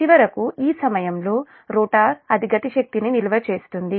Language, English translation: Telugu, and finally, and at this time that rotor, it will store kinetic energy, right